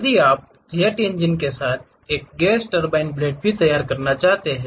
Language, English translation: Hindi, Perhaps you want to prepare gas turbine blade with jet engine also